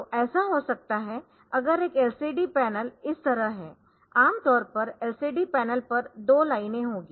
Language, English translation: Hindi, So, may be if is a LCD panel like this normally there will be 2 lines on the LCD panel